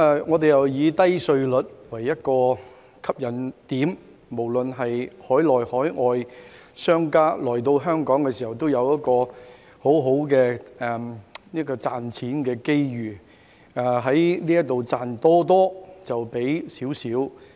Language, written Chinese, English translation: Cantonese, 我們又以低稅率為吸引點，讓海內、海外商家來到香港都有很好的賺錢機遇，可以賺多多但付少少。, In addition we use low tax rate as our selling point providing lucrative money - making opportunities for domestic and overseas businessmen to earn more but pay less in Hong Kong